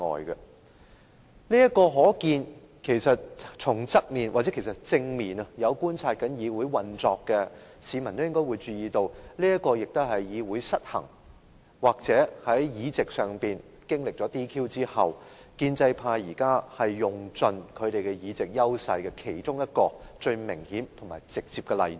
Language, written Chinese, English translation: Cantonese, 有從側面或正面觀察議會運作的市民應也注意到，這也是議會失衡或在議席上經歷撤銷議員資格的事件後，建制派現時用盡其議席優勢的其中一個最明顯和直接的例子。, Anyone who has observed the operation of this Council from a direct or indirect perspective should have noticed that under a power imbalance in this Council or after the disqualification of Members from their office this is one of the most obvious and direct examples of how the pro - establishment camp has made full use of its present advantage of securing a majority of seats in both groups